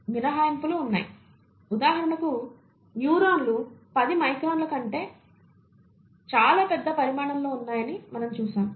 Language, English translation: Telugu, You have exceptions, for example neurons that we would see are much bigger in size than 10 microns